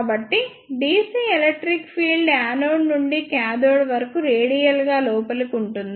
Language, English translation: Telugu, So, dc electric field is present from anode to cathode radially inward